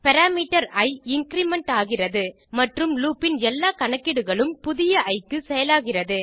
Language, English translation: Tamil, The parameter i is incremented and all the calculations of the loop are executed for the new i